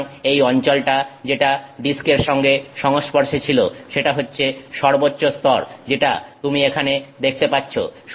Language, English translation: Bengali, So, this region which is in contact with the disk is the topmost layer that you see here in contact with disk